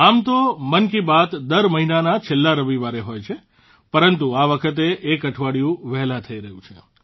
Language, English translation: Gujarati, Usually 'Mann Ki Baat' comes your way on the last Sunday of every month, but this time it is being held a week earlier